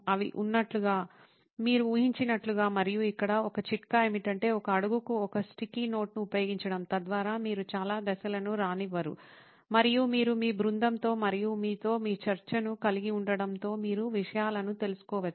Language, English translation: Telugu, As they are, as you imagine them to be and one tip here is to use one sticky note per step so that you are not crowding out a lot of steps and you can move things around as you can have your discussion with your team and you can move things around and see if it makes logical sense